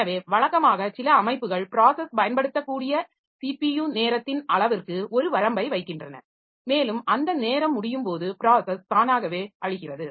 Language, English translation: Tamil, So, normally some systems so they put a limit on the amount of CPU time that a process can use and when that time expires the process gets killed automatically